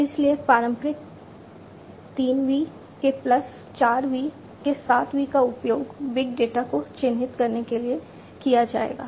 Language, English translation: Hindi, So, traditional 3 V’s plus the 4 V’s, 7 V’s would be used to characterize big data